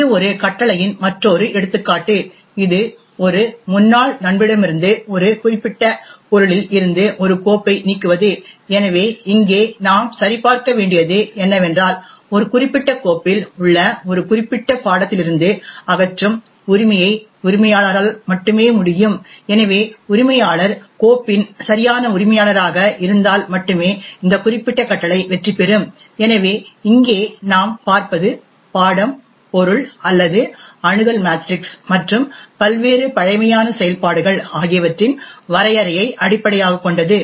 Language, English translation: Tamil, This is another example of a command which is to remove a right from an ex friend from a particular object in this case a file, so what we check over here is that only the owner can remove the right from a particular subject for a particular file, so only if the owner is the rightful owner of the file only then the this particular command will succeed, so what we see over here is based on this definition of the subject, object or the Access Matrix and the various primitive operations, one could create various different types of commands